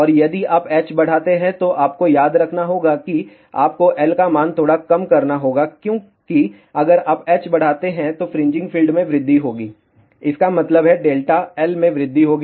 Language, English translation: Hindi, And, if you increase h remember you have to reduce the value of L slightly, why because if you increase h fringing fields will increase; that means, delta L will increase